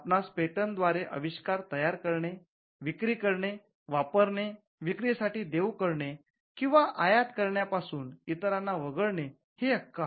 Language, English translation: Marathi, The exclusive right pertains to the right to make sell, use, offer for sale or import the invention